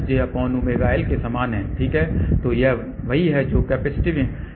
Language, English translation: Hindi, So, that is what is the capacitive admittance